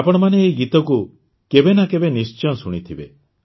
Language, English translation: Odia, All of you must have heard this song sometime or the other